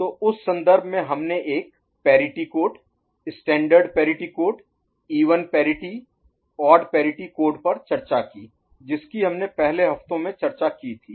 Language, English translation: Hindi, So, in that context we discussed a parity code, standard parity code even parity, odd parity code which we discussed in one of the earlier weeks